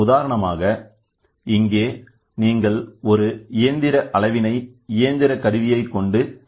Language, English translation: Tamil, For example, here you can have a mechanical measurement done for a mechanical measurement